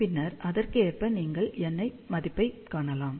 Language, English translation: Tamil, And then correspondingly, you can find the value of n